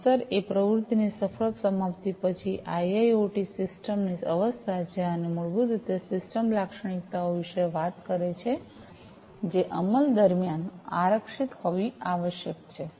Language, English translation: Gujarati, Effect is the state of the IIoT system after successful completion of an activity and constraints basically talk about the system characteristics, which must be reserved during the execution